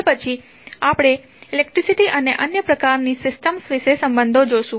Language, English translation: Gujarati, Then, we will see the relationship between electricity and the other type of systems